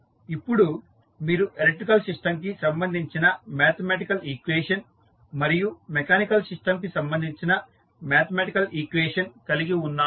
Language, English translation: Telugu, So, now you have the mathematical equation related to electrical system and mathematical equation related to mechanical system